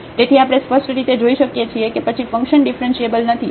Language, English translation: Gujarati, So, we can clearly see then the function is not differentiable or is not continuous